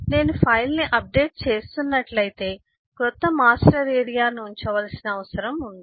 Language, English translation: Telugu, If I am writing the updating the file, the new master area need to be put up and so on